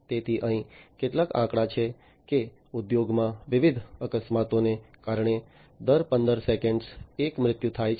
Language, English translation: Gujarati, So, here is some statistic one death occurs every 15 seconds due to different accidents in the industry